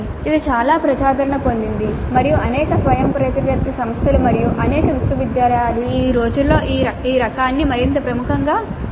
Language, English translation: Telugu, This is fairly popular and many autonomous institutes as well as many universities have adopted this type much more prominently these days